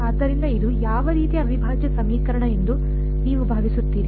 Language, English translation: Kannada, So, what kind of an integral equation do you think, this is